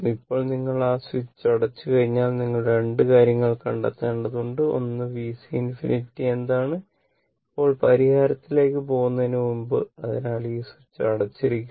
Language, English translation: Malayalam, Now, as soon as you as soon as you close that switch right, as soon as you close the switch and suppose you have to find out 2 things; one is what is V C infinity, now now, before going for the solution, so, this switch is closed